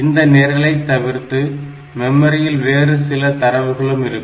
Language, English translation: Tamil, Apart from this program, memory also holds the data